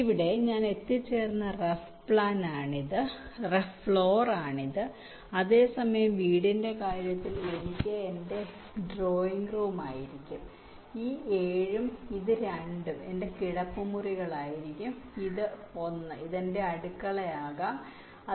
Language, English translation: Malayalam, right now, this is the rough floorplan that i have arrived, that while in terms of the house, again, i can say this four will be my drawing room, this seven and this two will be my, ah say, bedrooms like that, this one can be my kitchen, and so on